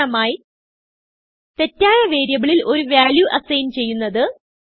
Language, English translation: Malayalam, For example, Assigning a value to the wrong variable